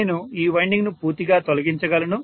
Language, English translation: Telugu, I can eliminate this winding completely